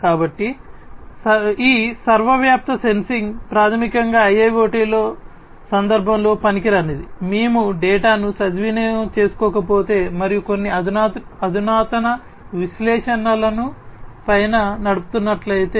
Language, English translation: Telugu, So, this ubiquitous sensing is useless basically in the IIoT context, if we are not taking advantage of the data and running some advanced analytics on top